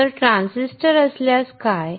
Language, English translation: Marathi, So, what if there is a transistor